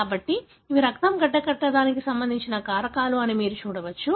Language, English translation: Telugu, So, you can see that these are the factors that are involved in the blood clotting